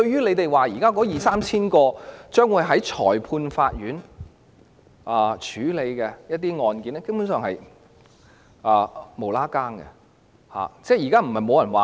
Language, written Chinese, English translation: Cantonese, 他們說現時那二三千宗將會在裁判法院處理的案件，根本是完全無關。, The 2 000 to 3 000 cases to be handled by the Magistrates Courts mentioned by them are indeed totally irrelevant . No one has said that there is a shortage of Magistrates